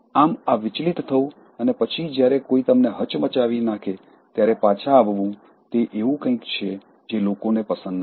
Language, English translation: Gujarati, So, this, that getting distracted and coming back, only when you are shaken is something that people don’t like